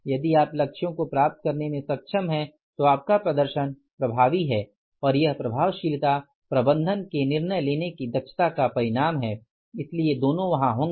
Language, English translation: Hindi, If we are able to achieve the targets your performance is effective and that effectiveness has been the result of efficiency of the management decision making so both will be there